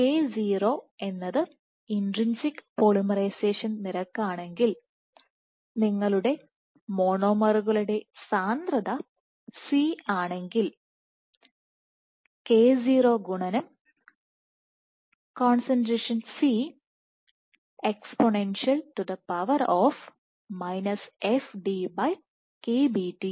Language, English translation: Malayalam, So, if K0 is the intrinsic polymerization rate you have a concentration C of the monomers and exponential f d/KBT is the kon